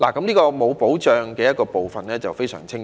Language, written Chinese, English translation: Cantonese, 這個欠缺保障的問題便非常清晰。, This problem of insufficient protection is evident